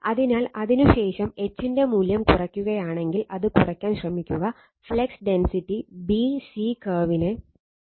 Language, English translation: Malayalam, So, after that what you will do that your now if the values of H is now reduce it right you try to reduce, it is found that flux density follows the curve b c right